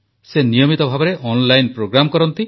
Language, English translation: Odia, He regularly conducts online programmes